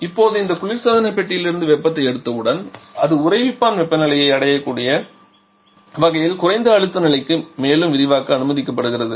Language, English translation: Tamil, And now once it has picked up the heat from this refrigerator compartment then it is allowed to expand further to the lowest possible pressure level, so that it can reach the freezer temperature